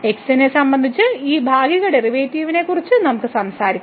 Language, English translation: Malayalam, So, we can talk about this partial derivative with respect to